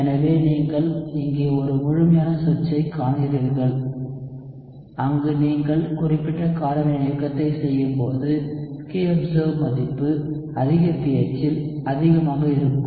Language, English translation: Tamil, So you see a complete switch here, where when you are doing specific base catalysis, the kobserved value is higher at a higher pH